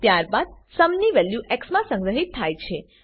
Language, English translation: Gujarati, Then the value of sum is stored in x